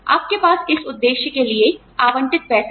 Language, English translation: Hindi, You have money, allocated for this purpose